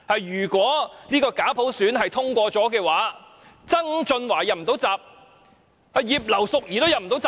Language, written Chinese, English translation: Cantonese, "如果假普選方案通過了，不止曾俊華"入不到閘"，葉劉淑儀議員也"入不到閘"。, If the fake universal suffrage proposal were passed not only John TSANG could not be nominated even Mrs Regina IP could not get the nomination